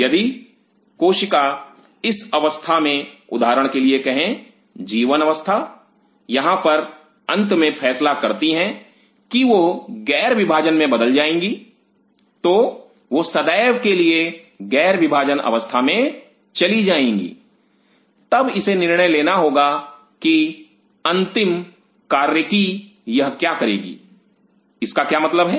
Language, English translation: Hindi, If cell at this stage say for example, at G 1 phase out here decides to finally, land up that it will become non dividing it will permanently go to the non dividing phase, then it has to decide what final function it will attain what does that mean